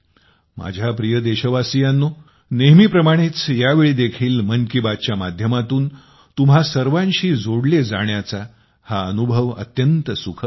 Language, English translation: Marathi, My dear countrymen, as always, this time also it was a very pleasant experience to connect with all of you through 'Mann Ki Baat'